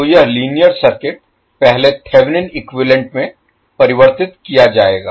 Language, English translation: Hindi, So this linear circuit will first convert into Thevenin equivalent